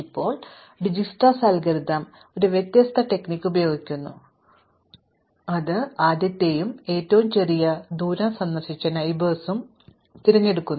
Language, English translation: Malayalam, Now, Dijkstra algorithm uses the different strategy which is to pick the first, the smallest distance and visited neighbor